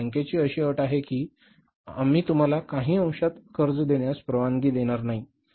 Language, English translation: Marathi, But this is a condition of the bank that we will not allow you to borrow in the fractions